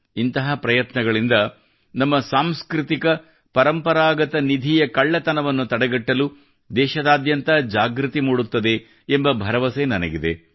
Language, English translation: Kannada, I am sure that with such efforts, awareness will increase across the country to stop the theft of our cultural heritage